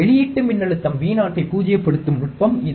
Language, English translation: Tamil, This is the technique to null the output voltage Vo